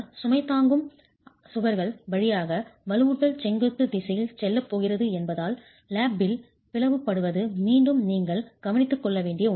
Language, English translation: Tamil, Lap splicing is again something that you will have to take care of because reinforcement is going to go in the vertical direction all the way through the road bearing walls